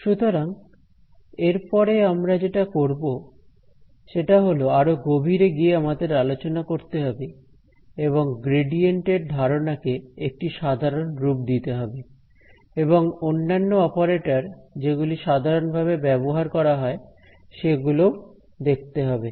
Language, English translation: Bengali, So, next what we will do is, we will dive in deeper and look at how to generalize the idea of the gradient and some other commonly used operators